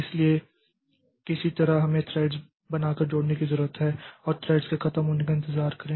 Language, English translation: Hindi, So, somehow we need to create the threads and join wait for the threads to be over